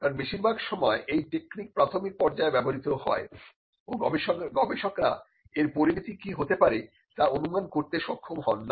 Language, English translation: Bengali, Because, most of the time that technique is used at the embryonic stage and researchers are not able to predict what could be the ultimate consequence of these editing